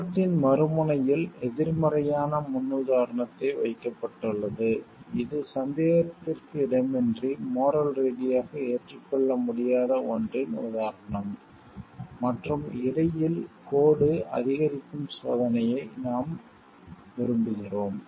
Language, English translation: Tamil, At the other end the space placed a negative paradigm, an example of something which is unambiguously morally not acceptable and in between we like trial going on increasing the line